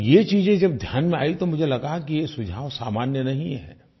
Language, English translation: Hindi, And when these things came to my notice I felt that these suggestions are extraordinary